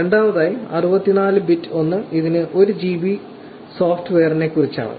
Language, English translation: Malayalam, Secondly, 64 bit one, it is about the 1 GB software